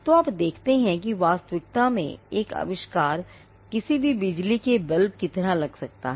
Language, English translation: Hindi, So, you see that an invention in reality the physical embodiment may look like any electric bulb